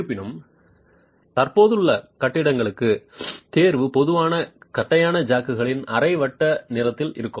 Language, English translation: Tamil, However, for existing buildings, the choice is typically on semicircular flat jacks